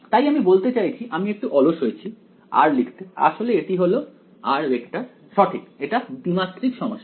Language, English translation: Bengali, So, this I mean I am being a little lazy in just writing r actually it is the vector r right its a 2 dimensional problems